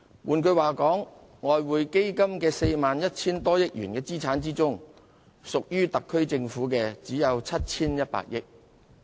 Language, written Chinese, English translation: Cantonese, 換言之，在外匯基金 41,000 多億元的資產中，屬於特區政府的只有 7,100 億元。, In other words of the 4,100 - odd billion worth of assets of the Exchange Fund only 710 billion worth of assets belonged to the SAR Government